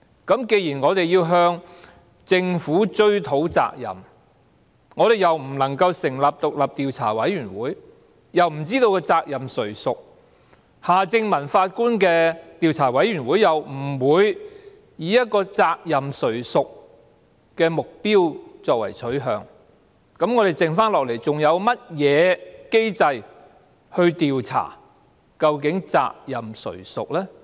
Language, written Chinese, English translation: Cantonese, 既然我們要向政府追討責任，但又不能成立獨立調查委員會，又不知責任誰屬，而夏正民法官的調查委員會又不會以責任誰屬作為目標和取向，我們剩下來還有甚麼機制可調查究竟責任誰屬呢？, Given that we must hold the Government accountable―but without the benefit of an independent committee of inquiry and the knowledge of who was responsible and that the Commission of Inquiry under Mr Michael HARTMANN neither seeks nor intends to find out who should be responsible what other mechanisms of inquiry do we have for identifying the parties responsible?